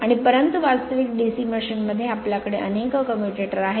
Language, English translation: Marathi, And but in the in the actual DC machine you have you have several segment of the commutators